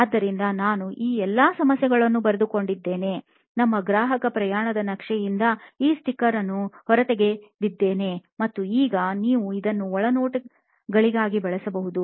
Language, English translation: Kannada, So, I noted all these problems down, pulled out these sticker from our customer journey map and now you can use this as insights that you want to work on